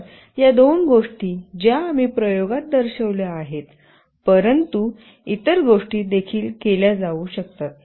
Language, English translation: Marathi, So, these are the two things that we have shown in the experiment, but other things can also be done